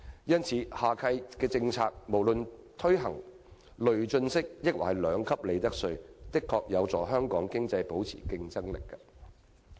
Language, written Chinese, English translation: Cantonese, 因此，下屆政府無論是推行累進式或兩級制利得稅的政策，的確會有助香港經濟保持競爭力。, Hence it would really help maintain Hong Kongs competitiveness if the next - term Government can introduce either a progressive or two - tier profits tax